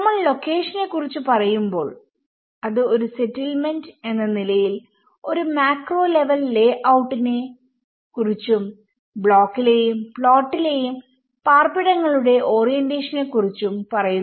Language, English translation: Malayalam, When we talk about location it talks both at a macro level layout as a settlement also the location of a dwelling is orientation within the block and the plot